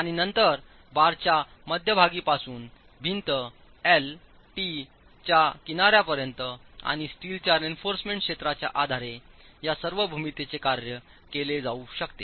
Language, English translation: Marathi, And then all the geometry can be worked out based on these distances from the center line of the bar to the edge of the wall, L, T, and the areas of the steel reinforcement